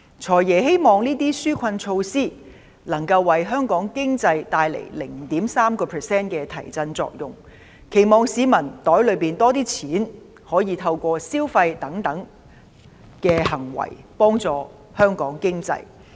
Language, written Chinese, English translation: Cantonese, "財爺"希望這些紓困措施能夠為香港經濟帶來 0.3% 的提振作用，期望市民口袋裏有多一點錢，可以透過消費等行為幫助香港經濟。, The Financial Secretary hopes that these relief measures can help boost the Hong Kong economy by 0.3 % . It is hoped that with more money in their pockets the public can support the Hong Kong economy through consumption etc